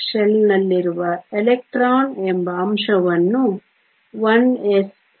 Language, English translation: Kannada, 1 s refers to the fact that you have the electron in the 1 s shell